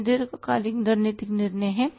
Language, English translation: Hindi, That is a long term strategic decision